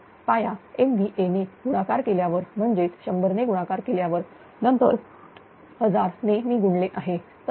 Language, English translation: Marathi, So, multiply by base MBV 100 time multiplied; then you 1000 I am multiplied